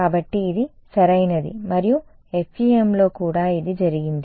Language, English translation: Telugu, So, this is perfect for and that was also the case in FEM